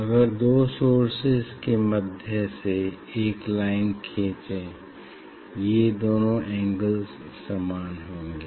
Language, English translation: Hindi, if you draw a line, so these two angles will be same